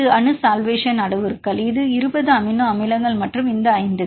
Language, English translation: Tamil, Atomic solvation parameters right this is 20 amino acids and this 5 for the